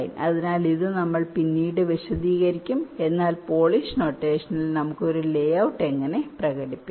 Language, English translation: Malayalam, so this we shall again explain later, but this is how we can express a layout in the polish notation right now